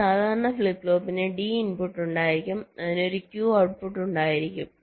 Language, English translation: Malayalam, a normal flip flop will be having a d input, it will having a, it will be having a q output and it will be having a clock